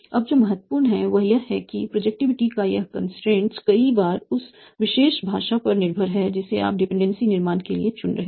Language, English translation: Hindi, Now what is important is that this constraint of productivity is many times depending on the particular language that you are choosing for your dependency instruction